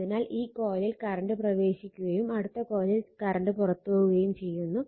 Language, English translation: Malayalam, So, current entering in one coil, but other coil current leaves the dot